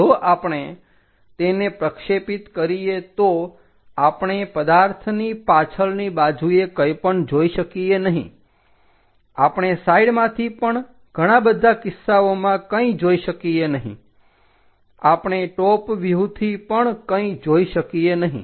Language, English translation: Gujarati, If we project it we cannot see anything backside of that object, we cannot even see the side things in most of the cases, we cannot see anything like top view things only